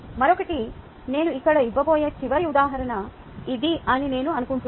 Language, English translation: Telugu, i think this is the last example that i am going to give here